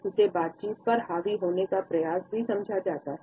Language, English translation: Hindi, It is also understood as an attempt to dominate the conversation